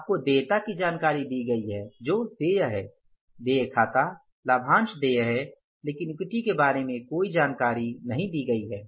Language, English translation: Hindi, You are given the information about the liabilities which is accounts payable, dividends payable, rent payable but no information about the equity is given